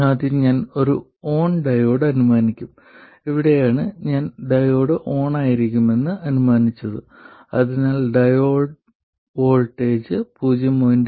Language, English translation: Malayalam, This is where I have assumed the diode to be on, which means that the diode voltage is